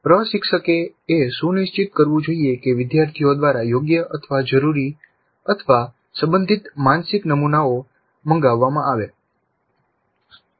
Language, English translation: Gujarati, So the instructor must ensure that an appropriate mental model, the required mental model, the relevant mental model is invoked by the students